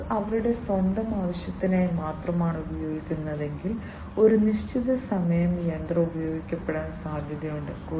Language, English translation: Malayalam, If the business was using just for their own purpose, then it is quite likely that the machine will be used for certain duration of time